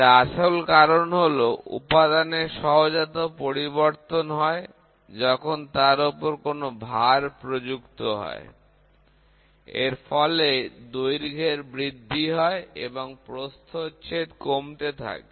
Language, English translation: Bengali, The main reason is an intrinsic change in the material while under load, but part of the effect is the increase in length and the reduction in cross section